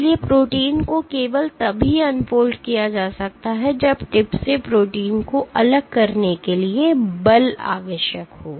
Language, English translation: Hindi, So, protein can be unfolded only if the force required to detach protein from the tip right